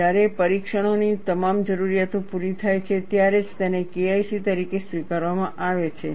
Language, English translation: Gujarati, Only when all the requirements of the test are met, it is accepted as K1C